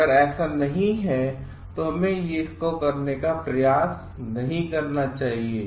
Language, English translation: Hindi, If it is not, then we should not attempt to do it